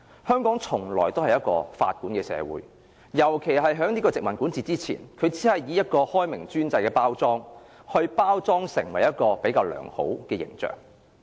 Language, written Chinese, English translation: Cantonese, 香港從來都是法管的社會，尤其是在殖民管治時，政府只是以開明專制來包裝出較良好的形象。, Instead Hong Kong has all along been under the rule by law . It was particularly so in times of the colonial rule though the Government gave the rule by law a better image and packaged it as an enlightened autocracy